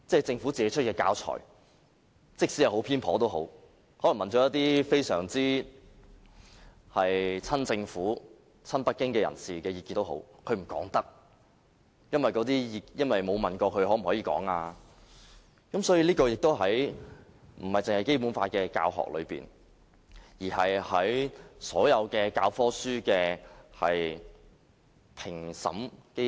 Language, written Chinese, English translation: Cantonese, 政府出版的教材即使十分偏頗，可能曾詢問一些親政府、親北京人士的意見，但不能說，因為沒有問過他們能否公開，所以，這不僅關乎《基本法》的教學，而是關乎所有教科書的評審機制。, But because there was no consent from them their names could not be disclosed . Therefore the issue is no long about the teaching of the Basic Law only . It also involves the whole mechanism for textbook assessment